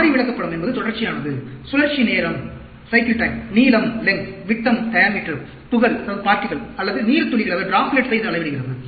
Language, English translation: Tamil, Variable chart is continuous, measured cycle time, lengths, diameter, particle, or droplets